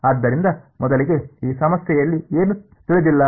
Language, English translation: Kannada, So, first of all in this problem what was unknown